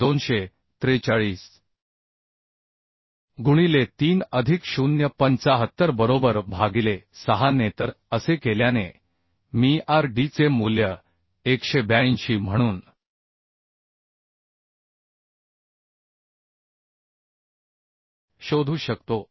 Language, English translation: Marathi, 75 right divided by 6 So doing this I can find out the value of RD as 182